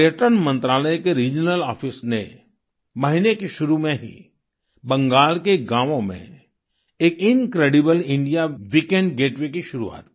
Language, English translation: Hindi, The regional office of the Ministry of Tourism started an 'Incredible India Weekend Getaway' in the villages of Bengal at the beginning of the month